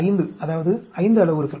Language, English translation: Tamil, 2 power 5, that means 5 parameters